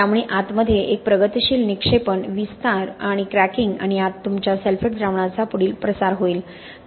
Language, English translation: Marathi, So there will be a progressive deposition, expansion and cracking inside and further propogation of your sulphate solution inside